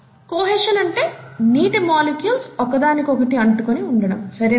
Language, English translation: Telugu, The first property is adhesion which is water molecules sticking together